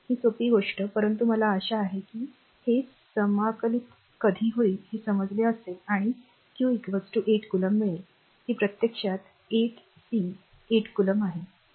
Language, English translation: Marathi, This simple thing, but I hope you have understood this right when you will integrate and solve it you will get q is equal to 8 coulomb this is actually 8 c 8 coulomb right